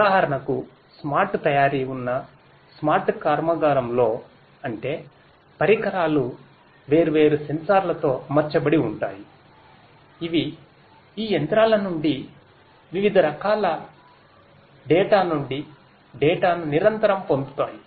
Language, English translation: Telugu, For example, in a smart factory in a smart factory where there is smart manufacturing; that means, the equipments themselves are fitted with different smart sensors and so on, which continuously access the data from data of different types from this machinery